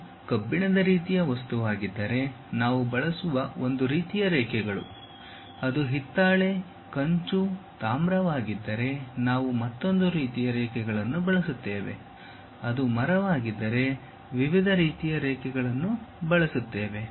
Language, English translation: Kannada, If it is iron kind of material one kind of lines we use; if it is brass, bronze, copper different kind of things we will use; if it is wood different kind of lines